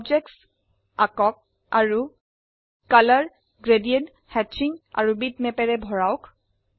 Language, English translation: Assamese, Draw objects and fill them with color, gradients, hatching and bitmaps